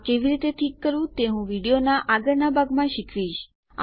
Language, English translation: Gujarati, I will teach you how to fix it but in the next part of the video